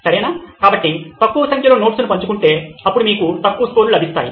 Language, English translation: Telugu, Okay, so low number of notes shared then you get low scores